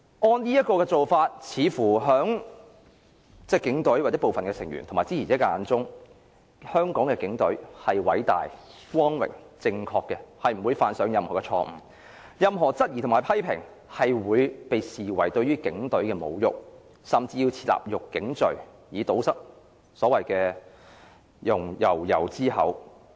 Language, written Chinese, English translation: Cantonese, 按這種做法，在警隊或部分成員及支持者的眼中，香港警隊似乎是偉大、光榮、正確的，不會犯上任何錯誤，任何質疑和批評會被視為對於警隊的侮辱，甚至要設立辱警罪，以堵塞悠悠之口。, But this distortion to history reflects the mindset of the Police Force or some police officers and their supporters who consider the Police Force as great glorious right and could do no wrong . Any doubts or criticisms so raised will be regarded as insults to the Police Force which warrants the introduction of the offence of insulting public officers to keep their mouths shut